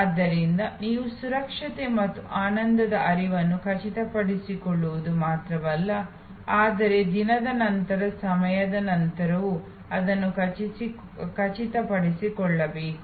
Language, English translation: Kannada, So, you have not only ensure security, safety, pleasure flow, but you have to also ensure it time after time day after day